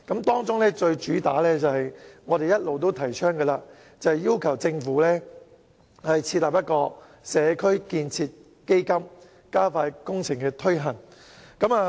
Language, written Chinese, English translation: Cantonese, 當中最主要的是我們一直提倡的，便是要求政府設立"社區建設基金"，加快工程推行。, I have raised a few viewpoints and the most important point which we have been advocating is to urge the Government to establish a community building fund in order to expeditiously implement the various projects